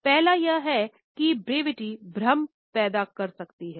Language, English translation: Hindi, Of course, the first one is that brevity can cause confusion